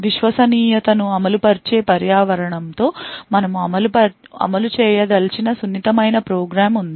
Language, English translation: Telugu, With Trusted Execution Environment we have a very sensitive program that we want to run